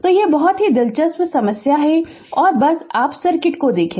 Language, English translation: Hindi, So, this is very interesting problem and just look at the circuit right